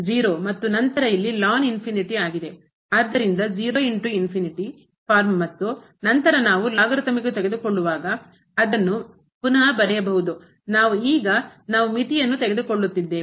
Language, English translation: Kannada, So, 0 into infinity form and then we can rewrite it as while taking the logarithmic I am we taking the limit now